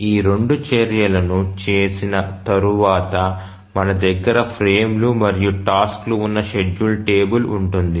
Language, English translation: Telugu, So, after doing both of these actions we will have the schedule table where we have the frames and the tasks